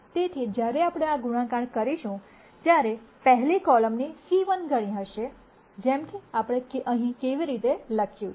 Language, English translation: Gujarati, So, when we multiply this this will be c 1 times the rst column; much like, how we have written here